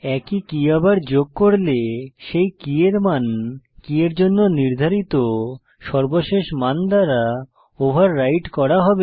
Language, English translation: Bengali, If the same key is added again, then the value of that key will be overridden by the latest value assigned to the key